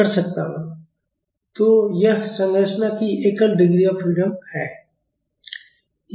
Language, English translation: Hindi, So, this is a single degree of freedom structure